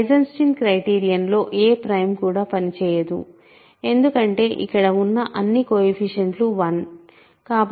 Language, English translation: Telugu, Again, no prime works in the Eisenstein criterion because all the coefficients here are 1